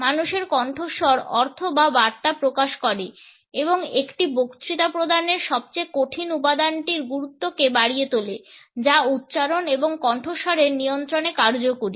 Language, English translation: Bengali, Human voice conveys the meaning or message and heightens the importance of the most difficult element of a speech delivery that is effective articulation and voice modulation